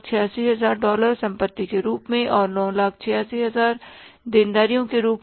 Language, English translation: Hindi, 986 thousand dollars as assets and 986 thousand dollars as liabilities